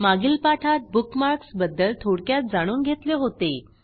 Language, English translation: Marathi, We had learnt a little bit about Bookmarks in an earlier tutorial